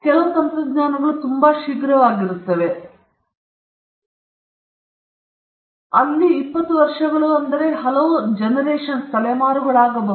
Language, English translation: Kannada, Some technologies are so quick, they are, and you know, 20 years may be many generations, for all you know, it could be many generations